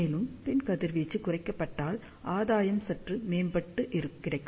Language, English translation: Tamil, And also if the back radiation is reduced that means, gain also will be enhanced slightly